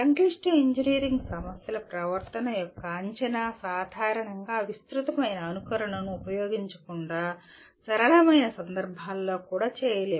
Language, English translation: Telugu, And prediction of behavior of complex engineering problems generally cannot be done even in the simpler cases without using extensive simulation